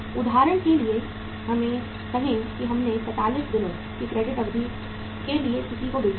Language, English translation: Hindi, Say for example we have sold to somebody for a credit period of 45 days